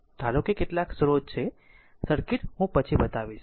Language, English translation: Gujarati, You assume that there are some sources circuit I will show you later